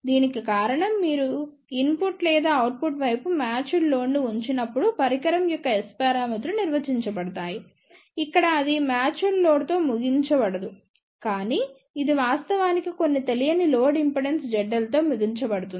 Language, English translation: Telugu, The reason for that is the S parameters of a device are defined when you put match load at the input or output side, over here it is not terminated with the match load; but it is actually terminated with some unknown load impedance Z L